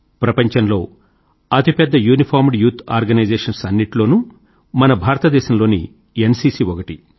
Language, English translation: Telugu, All of us know that India's National Cadet Corps, NCC is one of the largest uniformed youth organizations of the world